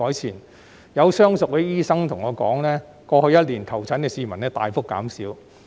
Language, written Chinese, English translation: Cantonese, 此外，亦有相熟的醫生告訴我，過去一年求診的市民人數大幅減少。, Besides as told by some medical practitioners whom I know well the number of people seeking medical consultation reduced significantly in the previous year